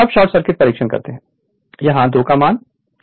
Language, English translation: Hindi, Now, short circuit test, here K is equal to 2